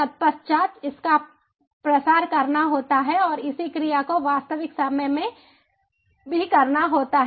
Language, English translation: Hindi, immediately thereafter it has to be disseminated and corresponding action also has to be taken in real time